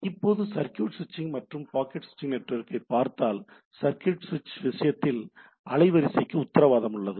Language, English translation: Tamil, So, if we try to now look at circuit switched and packet switched network or packet switching network, right; so in case of circuit switch, bandwidth is guaranteed right